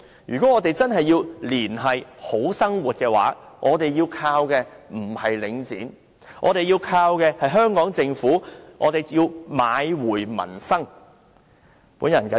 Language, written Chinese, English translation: Cantonese, 如果我們真的要"連繫好生活"，我們倚靠的不是領展，而是要依靠香港政府買回民生。, In order to truly link people to a brighter future what we should count on is not Link REIT but the Hong Kong Government buying back the peoples livelihood